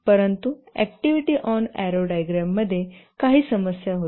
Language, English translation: Marathi, But the activity on arrow diagram has some issues